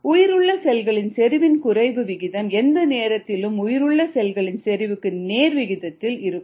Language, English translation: Tamil, now let me repeat this: the rate of decrease of viable cell concentration is directly proportional to the viable cell concentration present at any time